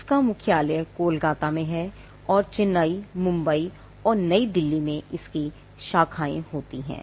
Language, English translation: Hindi, The headquarters is in Kolkata, and there are branches in Chennai, Mumbai, and New Delhi